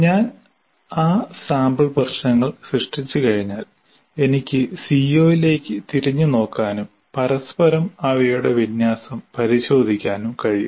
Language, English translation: Malayalam, And once I create those sample problems, I can look back at the CO, say, are there really in true alignment with each other